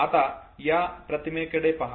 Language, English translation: Marathi, Look at this video